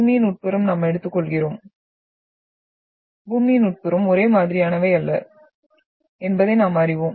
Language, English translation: Tamil, So interior of Earth we take, we understand and we know that the interior of Earth is not homogeneous